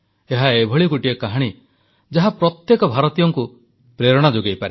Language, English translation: Odia, This is a story that can be inspiring for all Indians